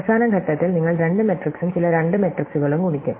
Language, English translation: Malayalam, So, at the final stage you would multiply two some mat, some two such matrices